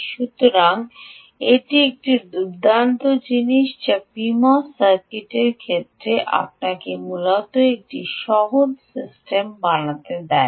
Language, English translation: Bengali, so this is a ah nice thing which, in the case of pmos circuit, you could essentially build a simple system